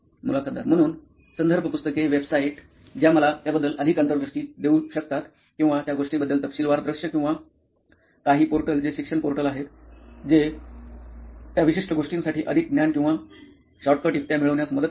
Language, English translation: Marathi, So reference books, websites which could give me some more insights about, or detailed view about that thing, or some portals which are the education portals which helps in gaining more knowledge or shortcut tricks for those particular things